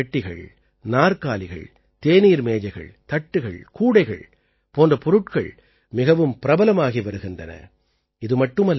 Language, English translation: Tamil, Things like boxes, chairs, teapots, baskets, and trays made of bamboo are becoming very popular